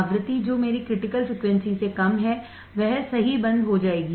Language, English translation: Hindi, Frequency which is less than my critical frequency it will stop right